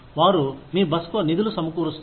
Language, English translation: Telugu, They will fund your stay